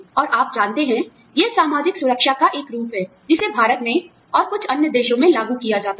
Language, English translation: Hindi, And, you know, it is a form of social security, that is implemented here in India, and in some other countries